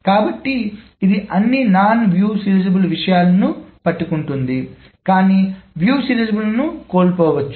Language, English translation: Telugu, So it catches all non view serializable thing but can miss a view seidelizable